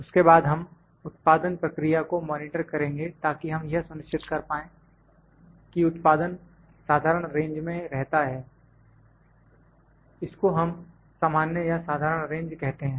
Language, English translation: Hindi, Then we monitor the production process to make it sure that the production stays within the normal range within we call also, we call it common or normal range